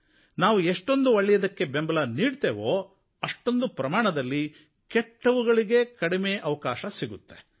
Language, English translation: Kannada, It is true that the more we give prominence to good things, the less space there will be for bad things